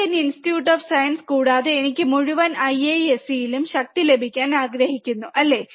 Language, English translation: Malayalam, Indian Institute of Science, and I want to have power across whole IISC, right